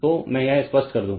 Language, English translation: Hindi, So, let me clear it